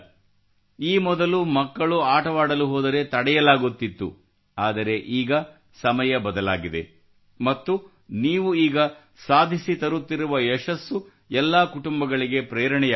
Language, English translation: Kannada, Earlier, when a child used to go to play, they used to stop, and now, times have changed and the success that you people have been achieving, motivates all the families